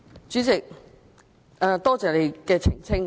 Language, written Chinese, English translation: Cantonese, 主席，多謝你的澄清。, President thank you for your clarification